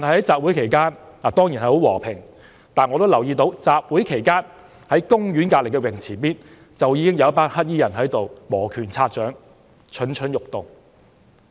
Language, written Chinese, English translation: Cantonese, 集會期間，一切當然很和平，但同一時間，我卻留意到公園旁邊的泳池附近，已有一群黑衣人磨拳擦掌，蠢蠢欲動。, During the rally of course everything was peaceful but at the same time I noticed that there were already a group of black - clad people rubbing their hands in preparation for something near the swimming pool next to the park